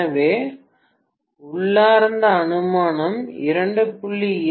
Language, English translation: Tamil, So the inherent assumption is 2